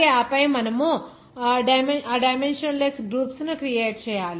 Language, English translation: Telugu, And then you have to create those dimensionless groups